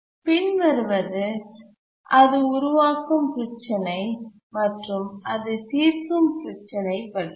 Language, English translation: Tamil, But then let's look at the problem it creates and the problem it solves